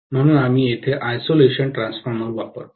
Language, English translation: Marathi, That is the reason why we use an isolation transformer here